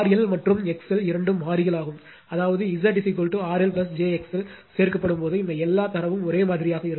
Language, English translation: Tamil, R L and X L are both variables I mean you repeat this example when Z is equal to your R L plus j x l added, and all data remains same, all data remains same right